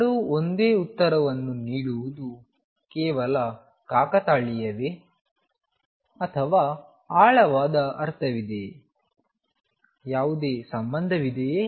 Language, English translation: Kannada, Is it mere coincidence that both give the same answer or is there a deeper meaning is there any connection